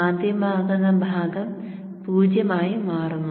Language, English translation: Malayalam, The magnetizing part cuts off to zero